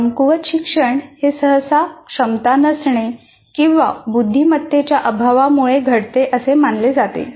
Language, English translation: Marathi, Poor learning is usually attributed to a lack of ability or intelligence